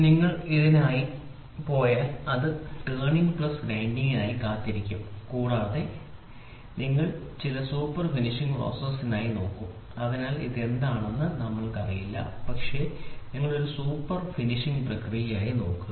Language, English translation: Malayalam, If you go for this it will be looking forward turning plus grinding plus you will look for some super finishing process some super finishing process, we do not know what is it, but you will look for a super finishing process